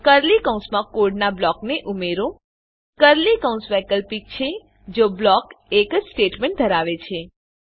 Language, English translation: Gujarati, * Add the block of code within curly brackets * Curly braces are optional if the block contains a single statement